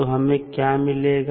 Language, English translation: Hindi, So, what we get